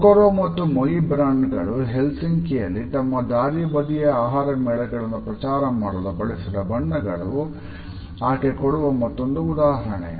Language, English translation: Kannada, Another example which has been cited by her is related with the branding by Kokoro and Moi to promote their street food festival in Helsinki